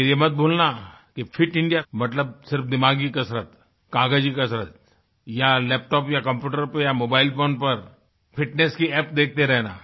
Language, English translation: Hindi, But don't forget that Fit India doesn't mean just exercising the mind or making fitness plans on paper or merely looking at fitness apps on the laptop or computer or on a mobile phone